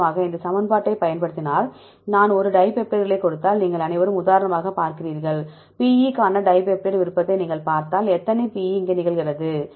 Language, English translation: Tamil, For example if we use this equation and I give a dipeptides see if you all for example, if you see dipeptide preference for PE how many times PE occurs here